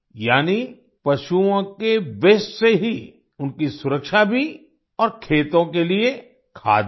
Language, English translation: Hindi, That is, the animals' protection using animal waste, and also manure for the fields